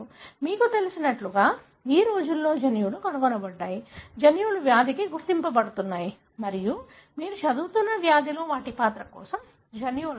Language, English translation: Telugu, So, that is how, you know, theses days the genes are being discovered, genes are being identified for disease and genes are being validated for their role in the disease that you are studying